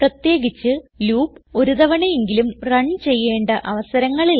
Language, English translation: Malayalam, Specially, when the loop must run at least once